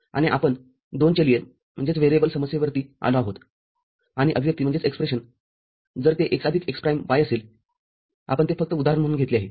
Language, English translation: Marathi, And we arrived at for a two variable problem and expression if is x plus x prime y, we just took this as an example